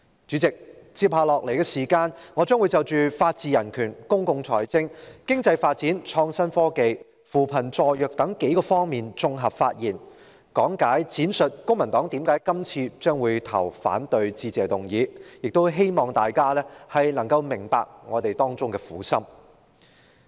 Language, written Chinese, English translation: Cantonese, 主席，接下來的時間，我將會就法治人權、公共財政、經濟發展、創新科技、扶貧助弱等數方面作綜合發言，講解並闡述公民黨為何會反對是次的致議議案，希望大家明白我們的苦心。, President I will now make a collective speech on the following areas concerning the rule of law and human rights public finance economic development innovation and technology and poverty alleviation and assistance for the disadvantaged . I will explain and set out the reasons why the Civic Party opposes the Motion of Thanks this time around hoping the public will appreciate our good intention